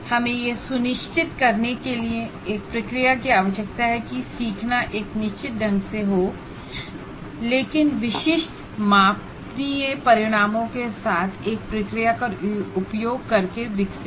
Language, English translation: Hindi, So we need a process to ensure learning does not occur in a haphazard manner, but is developed using a process with specific measurable outcomes